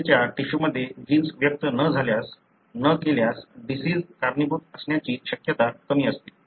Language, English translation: Marathi, If a gene is not expressed in skin tissue, probability that may be contributing to the disease is less likely